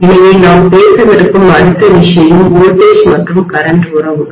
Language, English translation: Tamil, So the next thing that we will be talking about is voltage and current relationships